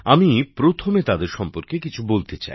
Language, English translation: Bengali, Let me first tell you about them